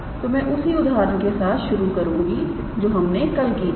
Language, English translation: Hindi, So, I will start with the same example that we considered yesterday